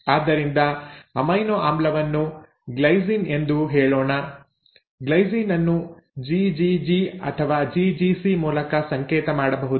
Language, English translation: Kannada, So let us say the amino acid is a glycine, the glycine can be coded by GGG or GGC